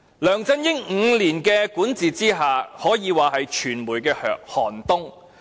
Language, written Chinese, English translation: Cantonese, 梁振英的5年管治，可說是傳媒行業的寒冬。, It is a cold winter for the media sector during the five years governance by LEUNG Chun - ying